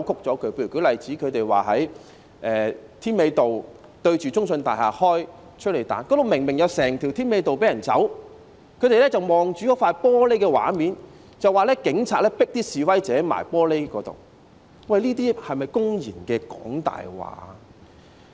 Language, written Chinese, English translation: Cantonese, 舉例說，他們指責警方在添美道中信大廈對岀的位置施放催淚彈，那裏明明有一整條添美道讓人群走避，但他們卻只看玻璃的畫面，說警察把示威者迫向玻璃，這些是否公然"講大話"？, Worse still they distorted the reasonable enforcement operations of the Police . For example they accused the Police of firing teargas bombs in the area off Citic Tower on Tim Mei Road and while it is clear that the crowd could disperse and leave along the entire Tim Mei Road they focused only on the scenes of the glass panels alleging that the Police had pushed the protesters against the glass panels . Were they not brazenly telling lies?